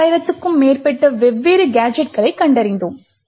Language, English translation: Tamil, We find over 15000 different gadgets